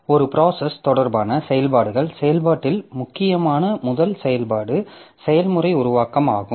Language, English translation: Tamil, So a process related operations, the first operation that is important in process is the process creation